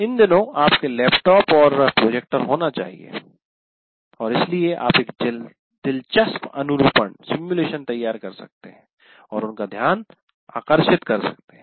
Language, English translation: Hindi, So some behavior, these days you do have access to laptops and projectors and so you can prepare a interesting simulation and get their attention